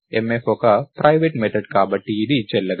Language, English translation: Telugu, This would be invalid because mf is a private method